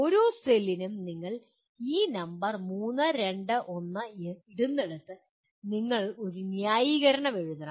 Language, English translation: Malayalam, For each cell wherever you put this number 3, 2, 1 you have to give a you have to write a justification